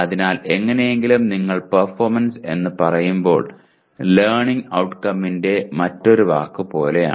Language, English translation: Malayalam, So somehow when you merely say performance it is like another word for learning outcome, okay